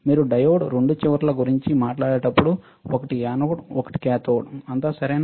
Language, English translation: Telugu, When you talk about diode two ends one is anode one is cathode, all right